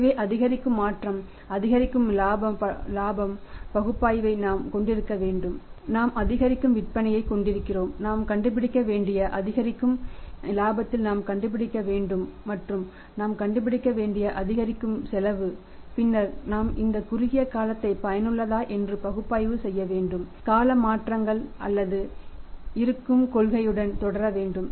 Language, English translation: Tamil, So, incremental change will have to incur incremental profit analysis we have incremental sales we have to find out in incremental profit we have to find out and incremental cost we have to find out then we have to make the analysis whether it is worthwhile effecting these short term changes or we should continue with the existing policy